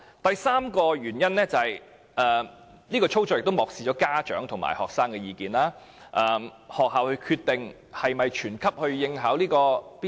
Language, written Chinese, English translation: Cantonese, 第三，有關的操作亦漠視了家長和學生的意見，因為是由學校決定是否全級學生應考 BCA。, Third the operation of the test has disregarded the views of parents and students since schools are the one to decide whether all students in the grade will sit for BCA